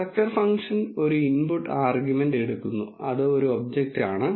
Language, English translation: Malayalam, Structure function takes one input argument which is an object